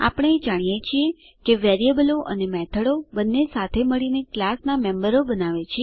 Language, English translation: Gujarati, We know that variables and methods together form the members of a class